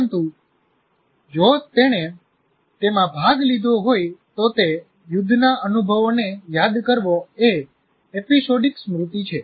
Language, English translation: Gujarati, But if he participated in that, recalling experiences in that war is episodic memory